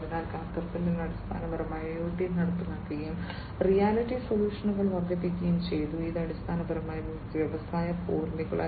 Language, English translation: Malayalam, And so Caterpillar basically has implemented IoT and augmented reality solutions and that is basically a step forward towards Industry 4